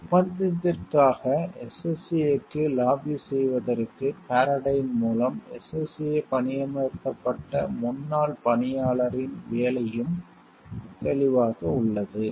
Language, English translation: Tamil, The employment of a former SSA worker by Paradyne to help lobby SSA for the contract is also clear